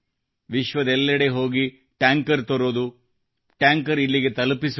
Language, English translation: Kannada, Going around the world to bring tankers, delivering tankers here